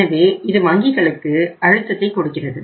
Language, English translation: Tamil, So this is the the pressure on the banks